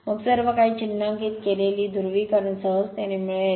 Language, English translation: Marathi, Then you will get you can easily make it polarity everything is marked